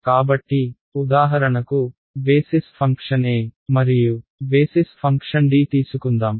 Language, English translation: Telugu, So, if I for example, just let us just take basis function a and basis function d